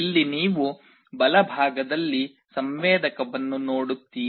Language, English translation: Kannada, Here you see a sensor on the right side